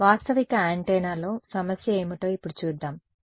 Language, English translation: Telugu, Let us see what is the problem in a realistic antenna ok